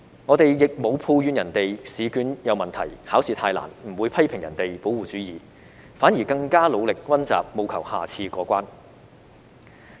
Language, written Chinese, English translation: Cantonese, 我們亦沒有抱怨別人的試卷有問題、考試太難，不會批評別人保護主義，反而更加努力溫習，務求下次過關。, We have not complained that there are problems with the examination papers or they are too difficult nor have we ever criticized them for protectionism . On the contrary we will put in more efforts and strive to get a pass next time